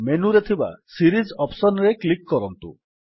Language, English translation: Odia, Click on the Series option in the menu